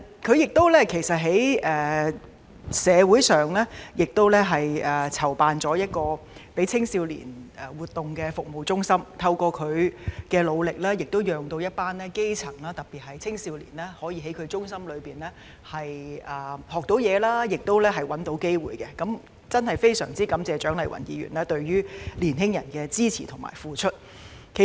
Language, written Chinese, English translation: Cantonese, 她在社會上亦籌辦了一個向青少年提供活動的服務中心，透過她的努力，讓一群基層人士，特別是青少年，可以在中心學習及尋找機會，真的非常感謝蔣麗芸議員對青年人的支持及付出。, She has also established a service centre in the community to organize activities for young people and through her efforts a group of grass - roots people especially youngsters are able to learn and find opportunities in the centre . I am really thankful to Dr CHIANG Lai - wan for her support and contributions